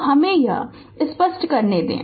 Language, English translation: Hindi, So, let me clear it